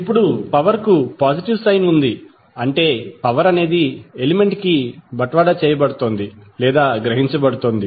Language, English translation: Telugu, Now, the power has positive sign it means that power is being delivered to or absorbed by the element